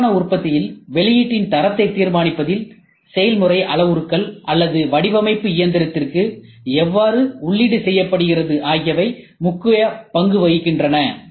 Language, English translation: Tamil, And process parameters plays a very important role in deciding the quality of the output in rapid manufacturing or how the design was input to the machine